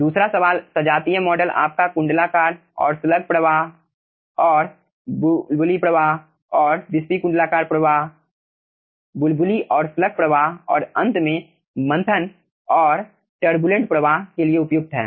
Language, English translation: Hindi, second question: homogeneous models are suitable for annular and slug flow, bubbly and wispy annular flow, slug and bubbly flow and finally churn and turbulent flow